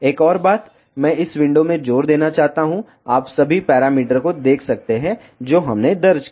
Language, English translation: Hindi, One more thing I want to emphasize in this window you can see all the parameters whatever we entered